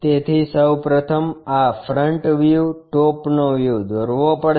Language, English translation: Gujarati, So, first of all one has to draw this front view, top view